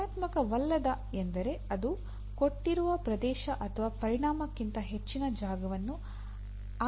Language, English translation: Kannada, Non functional means it should not occupy more space than you do, than given area or given volume